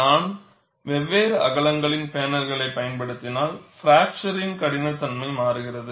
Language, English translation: Tamil, If I use panels of different widths, fracture toughness also changes